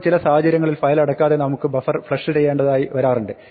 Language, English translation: Malayalam, Now, sometimes there are situations where we might want to flush the buffer without closing the file